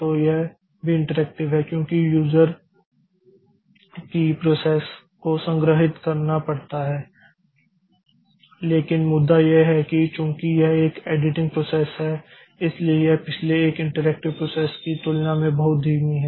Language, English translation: Hindi, So, that is an a that is also interactive because the user key places are to be stored and all but the point is that since it is an editing process so it is much slower compared to the previous one interactive processes